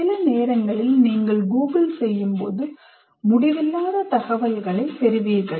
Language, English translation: Tamil, Sometimes when you Google, you get endless number of, endless amount of information